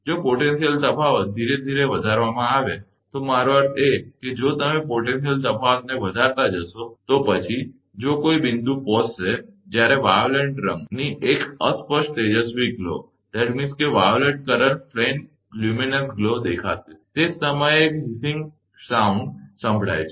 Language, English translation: Gujarati, If the potential difference is gradually increased, I mean if you go on increasing the potential difference, then if a point will be reached, when a faint luminous glow of violet colour will make it is appearance and at the same time, a hissing noise will be heard